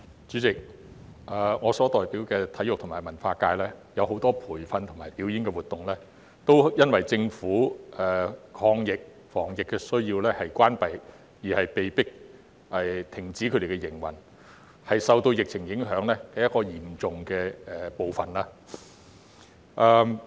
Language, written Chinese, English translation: Cantonese, 主席，我所代表的體育和文化界有很多培訓和表演活動皆因為政府抗疫防疫的需要而關閉，被迫停止營運，他們是受到疫情影響的一個嚴重的部分。, President in my capacity as a representative of the sectors of sports performing arts culture and publication we can see that a lot of training and performing activities have to be suspended as a result of the Governments anti - epidemic initiatives . The sectors are among the hardest hit by the pandemic